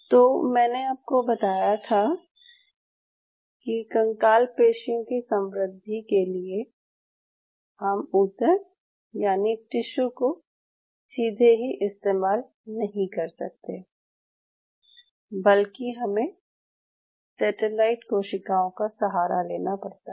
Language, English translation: Hindi, So the way skeletal muscle grows is why I told you that why you cannot take the direct tissue, you only have to rely on the satellite cells to grow them